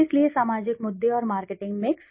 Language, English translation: Hindi, So social issues and the marketing mix